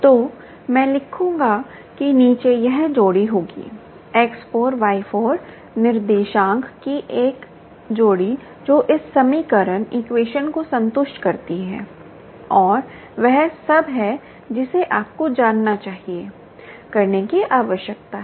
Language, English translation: Hindi, there will be an pair, x, four, y, four, pair of coordinates that satisfies this equation, and that s all that you need to know, need to do